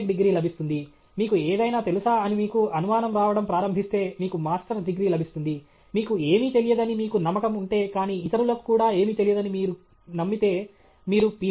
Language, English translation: Telugu, Tech; if you begin to doubt that you know anything at all, you will get a Masters; but if you are convinced that you don’t know anything, but you are also convinced that others also don’t know anything, then you get a Ph